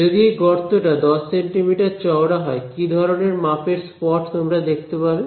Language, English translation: Bengali, If this hole is 10 centimeters wide, how what kind of a spot size will you see on the wall